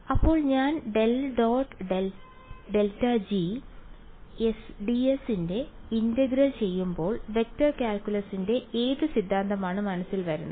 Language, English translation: Malayalam, So when I am doing integral of del dot grad G d s what theorem of vector calculus comes to mind